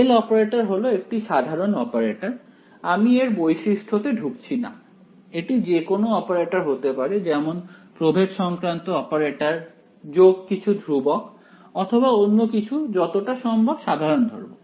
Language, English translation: Bengali, L is any operator general we are not getting into the specifics of it can be any operator any like a like a differential operator over here plus some constants or whatever or it would be something simply something like this will keep it as general as possible